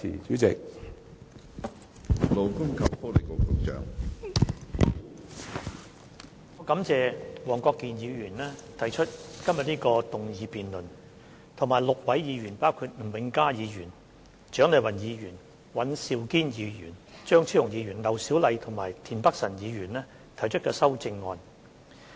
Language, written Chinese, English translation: Cantonese, 我感謝黃國健議員提出這項議案辯論，以及6位議員，包括吳永嘉議員、蔣麗芸議員、尹兆堅議員、張超雄議員、劉小麗議員和田北辰議員提出的修正案。, I thank Mr WONG Kwok - kin for proposing this motion and also six Members namely Mr Jimmy NG Dr CHIANG Lai - wan Mr Andrew WAN Dr Fernando CHEUNG Dr LAU Siu - lai and Mr Michael TIEN for the amendments proposed